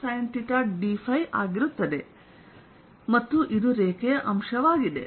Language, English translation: Kannada, so this is a line element